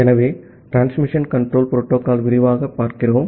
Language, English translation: Tamil, So, we are looking into the Transmission Control Protocols in detail